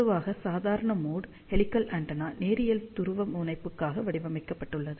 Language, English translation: Tamil, So, normal mode helical antenna is generally designed for linear polarization